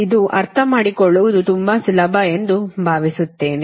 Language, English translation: Kannada, i hope this, this is very easy to understand